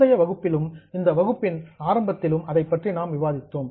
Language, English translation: Tamil, Now, we have discussed it earlier in the last session also and also in the beginning of the session